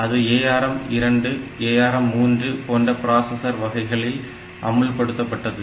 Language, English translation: Tamil, So, it was implemented in ARM 2, ARM 3, type of processors